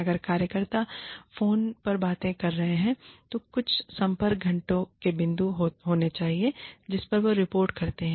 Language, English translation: Hindi, If workers are doing things on the phone, then there should be some point of contact, some contact hours, at which, they report